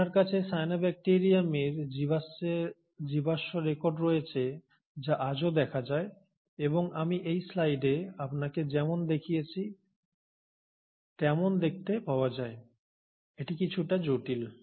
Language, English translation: Bengali, You have fossil records of cyanobacterium which are seen even today and you find as in this picture, as I show you in this slide, it is a little more complex